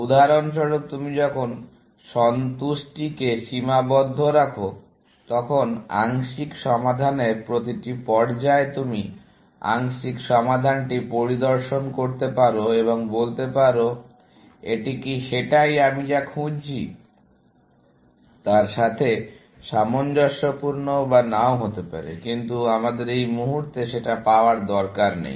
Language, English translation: Bengali, For example, when you do constrain satisfaction, then at each stage of the partial solution, you can inspect the partial solution and say, is this consistent with what I am looking for or not; but we will not get into that at this moment